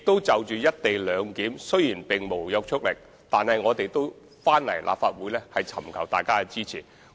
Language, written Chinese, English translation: Cantonese, 就有關"一地兩檢"的議案，雖然並無約束力，但政府也前來立法會尋求議員的支持。, Although the motion on the co - location arrangement carries no legislative effect the Government still put it forward to the Legislative Council as we wanted to gain the support of Members